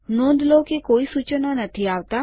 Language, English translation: Gujarati, Notice that no suggestions come up